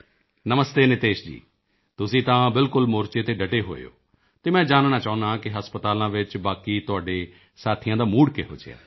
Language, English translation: Punjabi, Namaste Niteshji, you are right there on the front, so I want to know what is the mood of the rest of your colleagues in the hospitals